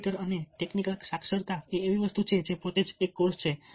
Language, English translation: Gujarati, computer and technical literacy is something which is a course by itself